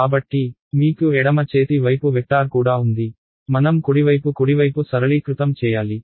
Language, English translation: Telugu, So, I have a vector on the left hand side also, I need to simplify the right hand side right